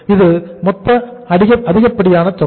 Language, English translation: Tamil, This is going to be the excess